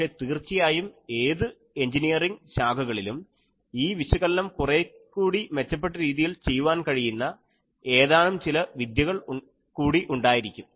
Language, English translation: Malayalam, But, obviously, in an any engineering stream there are certain other techniques by which you can perform this analysis in a much better way